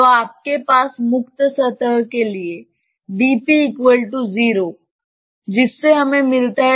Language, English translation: Hindi, What will happen to the free surface